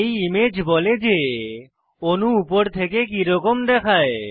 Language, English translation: Bengali, The image on the screen shows how the molecule looks from the top